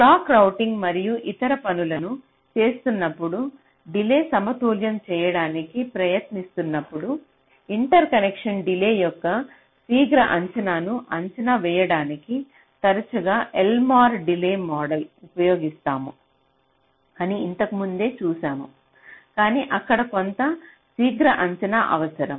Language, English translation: Telugu, earlier we seen that we often use elmore delay model to estimate quick estimation of the of the interconnection delay when you are doing the clock routing and other things when you are trying to balance the delay